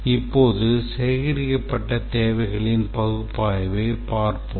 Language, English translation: Tamil, Now let's look at analysis of the gathered requirements